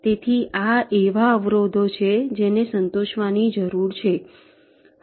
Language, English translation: Gujarati, so these are the constraints that need to be satisfied